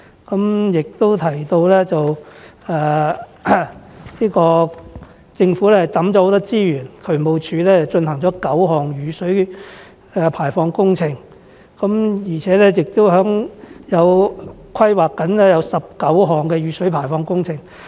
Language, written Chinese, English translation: Cantonese, 他亦提到政府投放了很多資源，例如渠務署進行了9項雨水排放工程，並正在規劃19項雨水排放工程。, He has also mentioned that the Government has allocated substantial resources eg . DSD has conducted nine stormwater drainage projects with another 19 stormwater drainage projects under planning